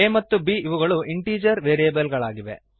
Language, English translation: Kannada, a and b are the integer variables